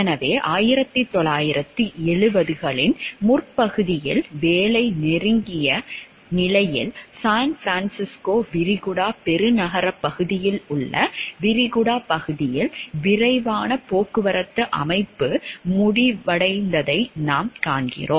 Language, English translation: Tamil, So, what we see in the case in the early 1970's the work was nearing it is completion on the bay area, rapid transit system in the San Francisco bay metropolitan area